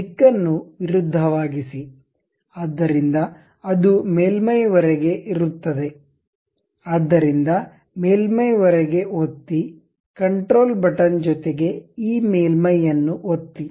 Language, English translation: Kannada, Reverse the direction, so there is up to the surface; so click up to the surface, control button, then click this surface